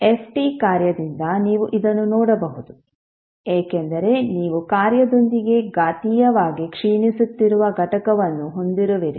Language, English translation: Kannada, And this is what you can see from the function f t also because you have a exponentially decaying component with the function